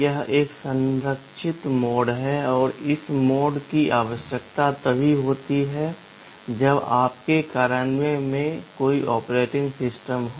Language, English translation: Hindi, This is a protected mode and this mode is required only when there is an operating system in your implementation